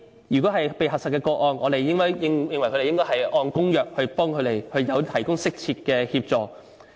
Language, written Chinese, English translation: Cantonese, 就這些被核實的個案，我們認為當局應該按有關公約，為他們提供適切的協助。, With regards to verified cases we consider that the authority should provide the appropriate help according to the relevant convention